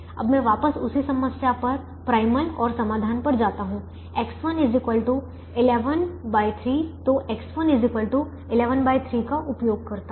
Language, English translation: Hindi, now let me go back to the same problem, to the primal, and let me take a solution: x one is equal to eleven by three